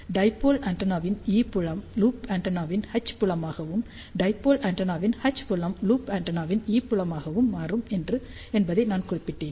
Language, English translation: Tamil, Then we talked about small loop antenna I mention that the E field of the dipole antenna becomes H field of loop antenna, and H field of dipole antenna becomes E field of the loop antenna